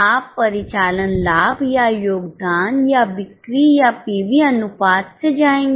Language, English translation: Hindi, Will you go by operating profit or contribution or sales or PV ratio